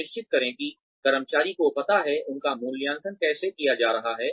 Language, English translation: Hindi, Ensure that, the employees know, how they are going to be assessed